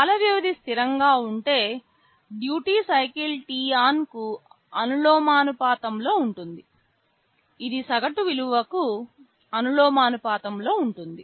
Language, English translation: Telugu, If the time period is constant, duty cycle is proportional to t on which in turn is proportional to the average value